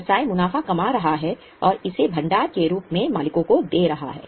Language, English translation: Hindi, Here business is generating profits and giving it to owners in the form of reserves